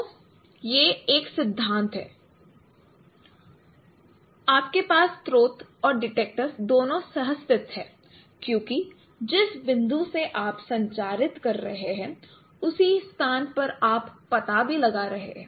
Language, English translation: Hindi, So you and you have both source and detector co located because the point from where you are transmitting you are also detecting at the same location